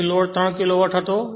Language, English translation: Gujarati, 6 and it is 3 Kilowatt